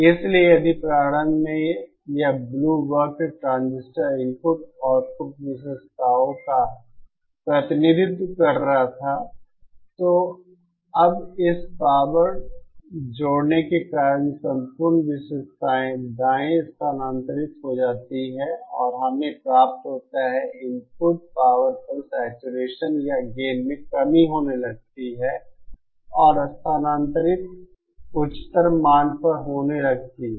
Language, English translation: Hindi, So if initially this blue curve was representing the transistors input output characteristics, now due to this power combining the entire characteristic shifts rightwards and so we get that the input power at which the saturation or gain reduction starts happening is now shifted to a higher value and that is why we are getting the higher value of gain